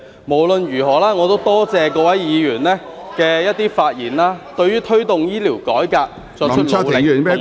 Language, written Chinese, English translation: Cantonese, 無論如何，我也多謝各位議員發言，對於推動醫療改革，作出努力，以及......, Nonetheless I am grateful to Members for their speeches and efforts to promote healthcare reform and